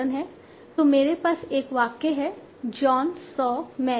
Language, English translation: Hindi, So I have a sentence John So Mary